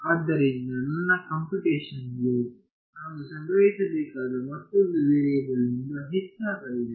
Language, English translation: Kannada, So, I have my computational load has increased by one more variable that I have to store